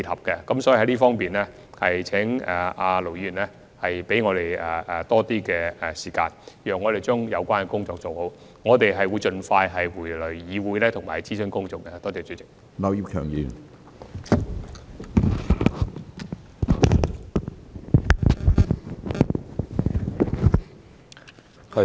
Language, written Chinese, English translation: Cantonese, 所以，在這方面，請盧議員給予我們多一些時間，讓我們將有關工作做好，我們會盡快返回議會進行公眾諮詢。, Hence in this connection we hope Ir Dr LO will give us more time to do a good job of the work . We will come back to the Legislative Council to undertake public consultation on the proposal as early as possible